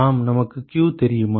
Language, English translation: Tamil, Yes we want to find q